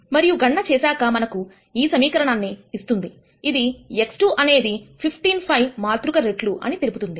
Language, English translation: Telugu, And then doing the calculation gives us this equation which says x 1 x 2 is a matrix times 15 5